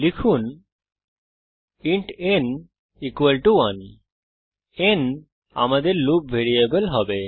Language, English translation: Bengali, Type int n equalto 1 n is going to be loop variable